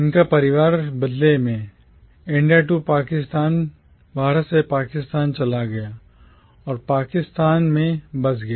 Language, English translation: Hindi, His family in turn moved from India to Pakistan and settled down in Pakistan